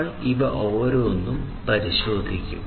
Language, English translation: Malayalam, So, we will look into each of these